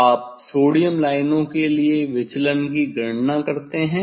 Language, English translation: Hindi, You calculate deviation for sodium lines